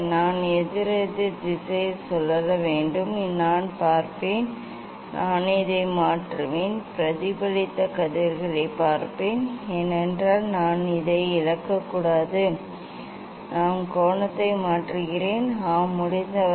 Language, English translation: Tamil, I have to rotate anticlockwise and I will look I will look at the; I will change and look at the look at the reflected rays because I should not lose this one, I am changing the angle; yes, as per as possible